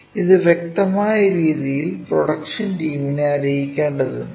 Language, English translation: Malayalam, And it has to be conveyed in a clear way to this production team